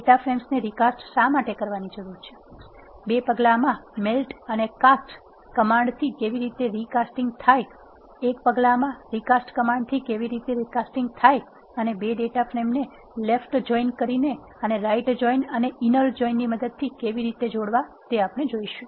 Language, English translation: Gujarati, Why do one need to recast the data frames, How the recasting can be done in 2 steps using melt and cast command, How the recasting can be done in a single step using recast command and how to join 2 data frames using left join right join and inner join functions of d player package in r